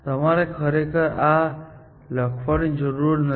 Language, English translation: Gujarati, You do not have to really write this